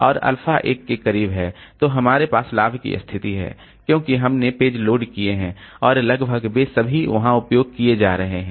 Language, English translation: Hindi, And the alpha is close to 1, then we have gained because we have loaded the pages and they all are almost all of them are being